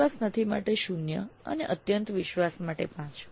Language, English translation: Gujarati, No confidence 0 to very high confidence 5